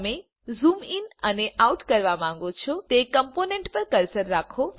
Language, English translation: Gujarati, Keep Cursor on Component which you want to zoom in and zoom out